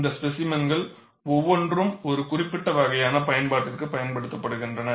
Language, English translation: Tamil, Each of the specimens is used for a particular kind of application